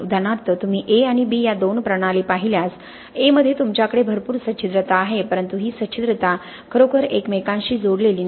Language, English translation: Marathi, For example if you look at these two systems A and B, in A you have lot of porosity but this porosity is not really interconnected